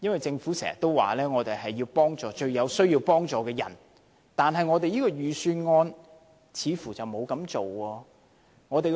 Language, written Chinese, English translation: Cantonese, 政府經常說要幫助最有需要幫助的人，但這份預算案似乎並沒有這樣做。, While the Government often says that it has to help the most needy people it seems that this Budget has not offered help to those in need